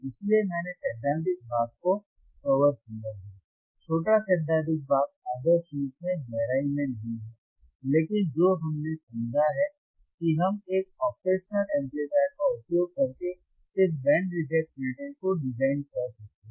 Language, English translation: Hindi, So, we will right now I have covered the theoretical portion once again, small theoretical portion not ideally in depth, but what we understood is we can design this band reject filter right using and operational amplifier